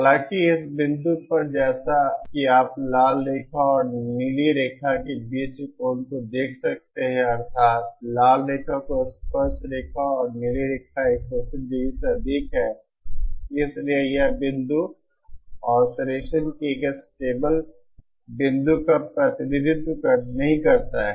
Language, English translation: Hindi, However, at this point as you can see the angle between the red line and the blue line, that is the tangents to the red line and the blue line is greater than 180¡, therefore this point does not represents a stable point of oscillation